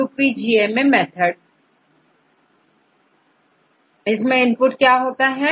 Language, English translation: Hindi, What is the input for the UPGMA method